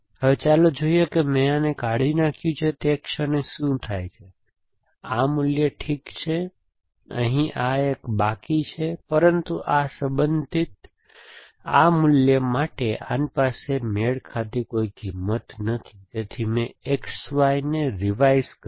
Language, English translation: Gujarati, So, this is gone, now let us see what happen the moment I have deleted this, this value Well, this has one left here, but this related this value this one does not have a matching value, so I read something revise X Y